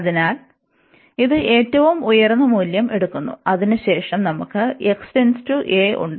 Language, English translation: Malayalam, So, it will take the highest value, and we have then x will approach to this a